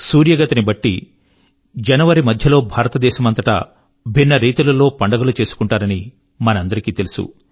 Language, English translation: Telugu, We all know, that based on the sun's motion, various festivals will be celebrated throughout India in the middle of January